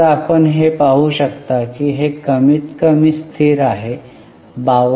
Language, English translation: Marathi, Like that you can see it is more or less stagnant, 52